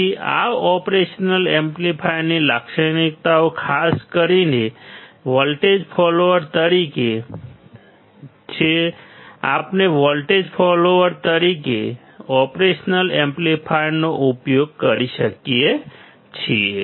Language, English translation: Gujarati, So, these are the characteristics of operational amplifier particular as a voltage follower; this is how we can use operational amplifier as a voltage follower